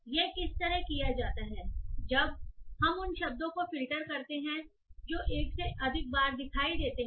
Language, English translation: Hindi, Once that is done, we filter those words which appear more than once